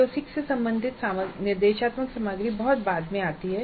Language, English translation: Hindi, The instructional material related to CO6 comes in much later only